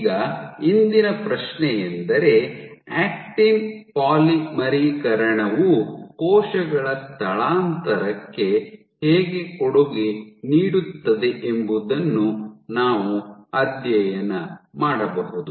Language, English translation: Kannada, Now, ahead, the question for today is can we study how actin polymerization contributes to cell migration